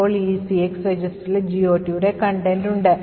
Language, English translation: Malayalam, So, now the ECX register has the contents of the GOT table